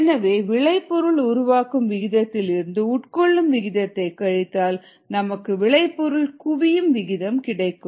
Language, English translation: Tamil, so the rate of generation minus the rate of consumption of the product equals the rate of accumulation of the product